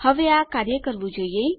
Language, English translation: Gujarati, Now this should work